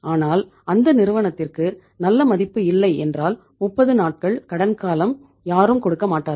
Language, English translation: Tamil, But if they are not that much credit worthy, nobody would like to give them even a credit for 30 days